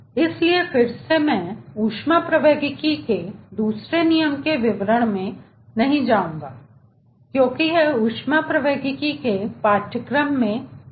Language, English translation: Hindi, so again, i will not go ah into details of second law of thermodynamics as it is done in a course of thermodynamics